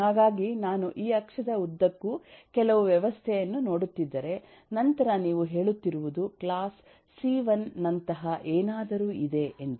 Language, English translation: Kannada, if you look at the some system along this axis, then what you are saying is there is something like class c1, there is something concept which is the cpu